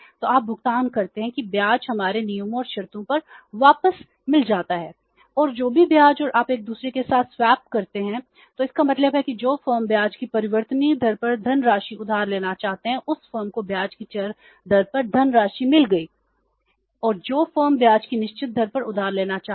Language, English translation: Hindi, There is another firm who want to borrow the funds at the variable rate of interest but the bank is ready to give to that firm the funds at the fixed rate of interest